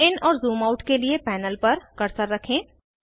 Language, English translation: Hindi, To zoom in and zoom out, place the cursor on the panel